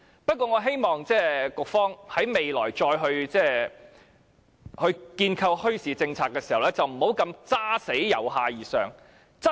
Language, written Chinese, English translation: Cantonese, 不過，我希望局方在未來再構思墟市政策時，不要堅持"由下而上"。, The bottom - up approach was adopted at that time but I hope that the Bureau will not insist on adopting the bottom - up approach in conceiving a bazaar policy in the future